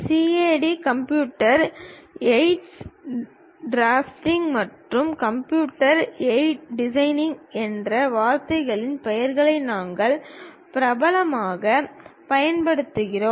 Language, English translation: Tamil, We popularly use a word name CAD: Computer Aided Drafting and also Computer Aided Designing